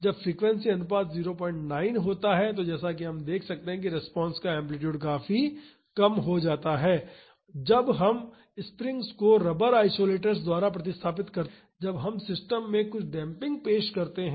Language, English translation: Hindi, 9 as we can see the amplitude of response significantly reduces when we replace springs by rubber isolators that is when we introduce some damping to the system